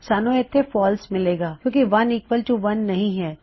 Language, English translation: Punjabi, Well get False here because 1 is equal to 1